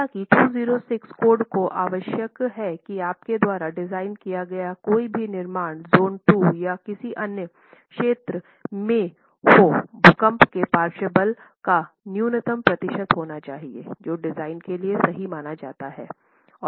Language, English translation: Hindi, However, the 2016 code also requires that any construction that you design, any construction that you design, be it in zone 2 or any other zones, has to have a minimum percentage of earthquake lateral force considered for design